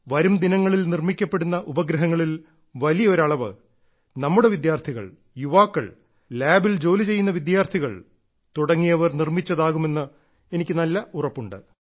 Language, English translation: Malayalam, And I firmly believe that in the coming days, a large number of satellites would be of those developed by our youth, our students, our colleges, our universities, students working in labs